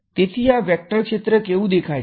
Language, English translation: Gujarati, So, what is this vector field look like